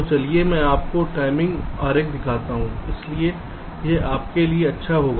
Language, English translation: Hindi, so let me show you the timing diagram so it will be good for you